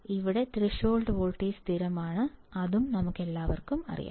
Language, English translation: Malayalam, Here threshold voltage is constant, we know it